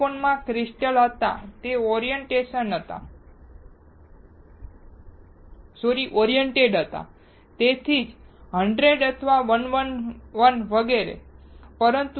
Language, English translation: Gujarati, In silicon there were crystals it was oriented, that is why 100 or 111 etc